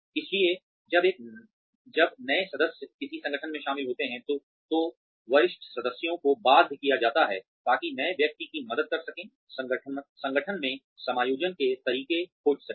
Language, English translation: Hindi, So, when new members join an organization, the senior members are obligated, to help the newcomer, find ways of adjusting to the organization